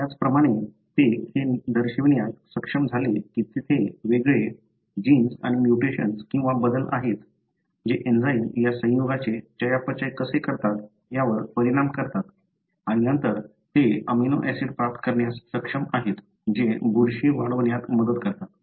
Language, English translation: Marathi, Likewise they have been able to show that there are distinct, genes and mutations or changes that affect how the enzymes metabolizes these compound and then, therefore they are able to get the amino acid which helps the fungi to grow